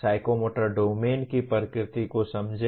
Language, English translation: Hindi, Understand the nature of psychomotor domain